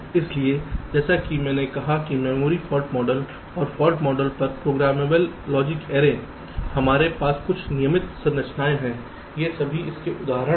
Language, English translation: Hindi, so, as i said, the memory fault models and also fault models per programmable logic arrays, we have some regular structures